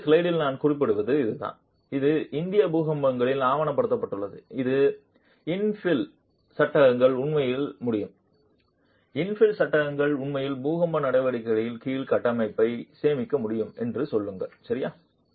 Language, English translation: Tamil, And this is what I was mentioning in the earlier slide that it has been documented in Indian earthquakes that infill frames can actually say infill panels can actually save the structure under earthquake actions